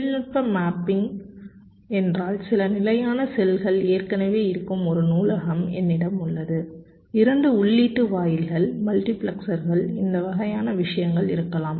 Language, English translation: Tamil, technology mapping means i have a library where some standard cells are already present, may be two input gates, multiplexers, this kind of things